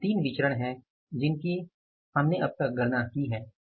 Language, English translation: Hindi, So, these are the three variances we could calculate till now